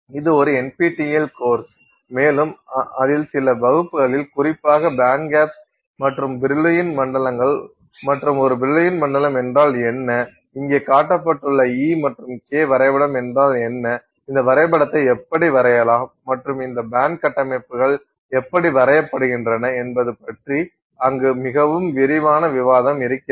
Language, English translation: Tamil, It is an NPTEL course and there are a few classes specifically focused on band gaps and, you know, Brill Wan zones and what is the Brill Wan zone, what is this E versus K diagram that is shown here and how you can know draw this diagram and how these band structures are drawn